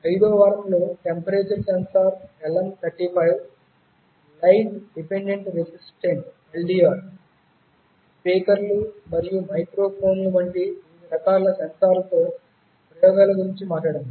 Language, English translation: Telugu, During the 5th week, we talked about experiments with various kinds of sensors like temperature sensors LM35, light dependent resistors , speakers and microphones